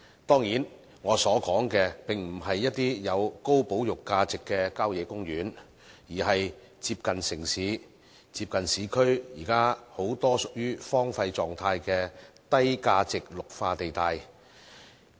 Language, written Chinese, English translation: Cantonese, 當然，我所說的並不是一些具高保育價值的效野公園，而是很多接近市區、現時屬於荒廢狀態的低價值綠化地帶。, Well I am not talking about country parks with high conservation values but green belt areas with low values that are close to urban areas and are now left derelict